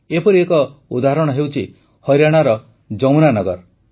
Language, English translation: Odia, There is a similar example too from Yamuna Nagar, Haryana